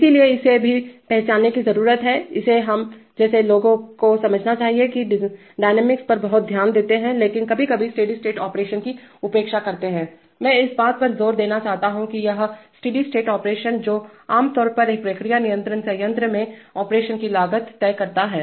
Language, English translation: Hindi, So this also needs to be identified, this should be understood for people like us who pay a lot of attention to dynamics but sometimes ignore the steady state operation, I want to emphasize that it is the steady state operation that generally decides cost of operation in a process control plant